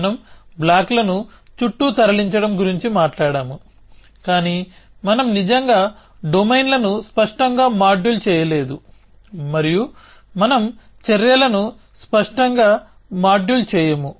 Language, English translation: Telugu, We talked about moving blocks around, but we did not really explicitly module domains and we do not explicitly module actions